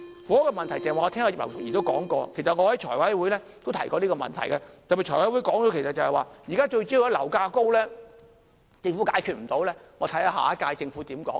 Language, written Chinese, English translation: Cantonese, 房屋問題我剛才聽到葉劉淑儀議員的發言，其實我在財委會都提過這個問題，我在特別財委會上說，現在樓價高政府解決不到，留待下一屆政府如何處理。, In her speech just now Mrs Regina IP has also mentioned the housing problem . Actually I have talked about this problem in the Finance Committee meeting . In the special meeting of the Finance Committee I said the soaring property prices which the current Government was unable to resolve should be left to be handled by the next - term Government